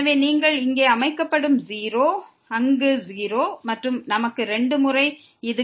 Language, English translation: Tamil, So, will be set here 0; there also 0 and we will get this 2 times